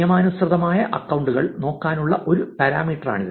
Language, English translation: Malayalam, That is one parameter, one way to look at the legitimate accounts